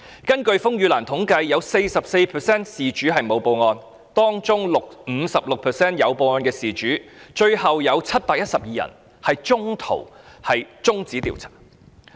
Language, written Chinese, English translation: Cantonese, 根據風雨蘭的統計，有 44% 事主沒有報案，當中 56% 有報案的事主，最後有712宗中途中止調查。, Statistics maintained by RainLily reveal that 44 % of the victims have not reported their case to the Police . Among the other 56 % in which the victims made a report the investigation of 712 cases was suspended half - way eventually